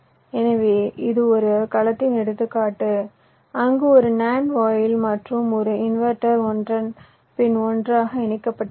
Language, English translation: Tamil, so this is the example of a cell where nand gate and an, the inverter to connected one after to the other